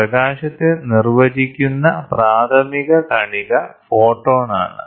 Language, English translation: Malayalam, The elementary particle that defines light is photon